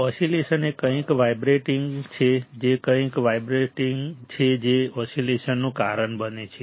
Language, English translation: Gujarati, Oscillations is something vibrating is something vibrating right that also causes the oscillation